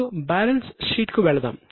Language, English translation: Telugu, Now let us go to balance sheet